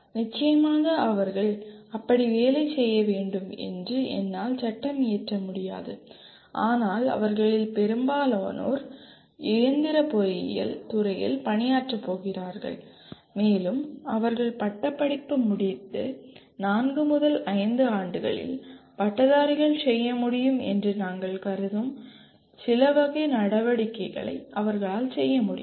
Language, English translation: Tamil, Of course I cannot legislate they have to work like that, but majority of them are going to work in the mechanical engineering field and they are able to perform certain type of activities that we consider the graduates will be able to do in four to five years after graduation